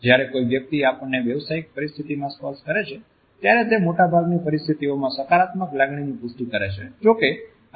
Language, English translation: Gujarati, When another person touches us in a professional setting, it validates a positive feeling in most of the situations